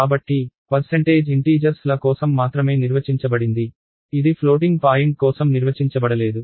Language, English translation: Telugu, So, percentage is defined only for integers, it is not defined for floating point